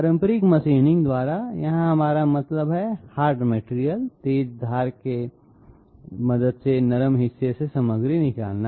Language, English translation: Hindi, By conventional machining here I mean hard material removing material from a soft softer part with the help of a sharp edge